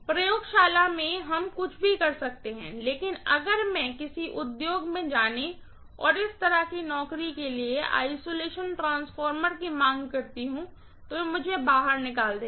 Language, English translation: Hindi, In the laboratory we can do anything but if I try to go to an industry and ask for an isolation transformer for this kind of job, they will kick me out, right